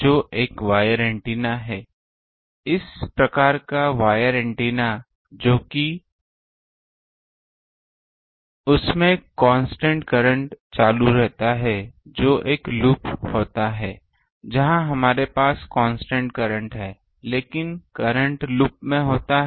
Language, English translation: Hindi, So, we have seen current element which is a wire antenna; a type of wire antenna which is constant current throughout that the dual to that is a loop where we have constant current, but current is in a loop